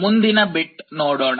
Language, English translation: Kannada, Let us look at the next bit